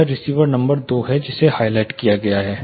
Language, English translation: Hindi, This is receiver number two which is highlighted